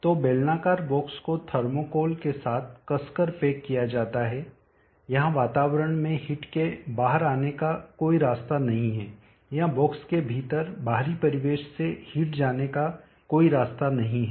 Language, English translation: Hindi, So the cylindrical box is tightly packed with thermocol, there is no way of heat coming out into the atmosphere or from the external ambient within the box